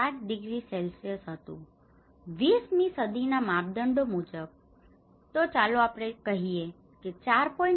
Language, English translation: Gujarati, 5 degrees Celsius, below the 20th century norm let us call a 4